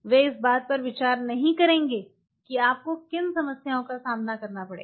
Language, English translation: Hindi, They will not consider at what are the problems you are going to face